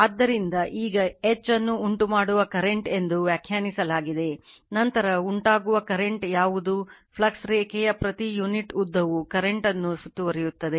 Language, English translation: Kannada, So, now H defined as the causative current, we will come to come later what is causative current, per unit length of the flux line you are enclosing the current right